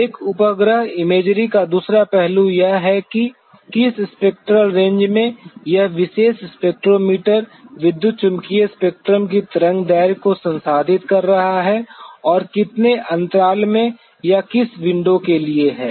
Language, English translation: Hindi, The other aspect of a satellite imagery is that in what spectral range this particular spectrometer has been processing the wavelength of the electromagnetic spectrum and in how many for in what intervals or what window